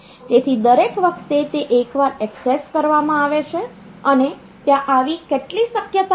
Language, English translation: Gujarati, So, every time it is accessed once and how many such possibilities are there